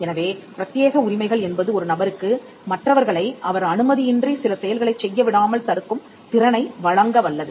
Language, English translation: Tamil, So, exclusive rights are rights which confer the ability on a person to stop others from doing things without his consent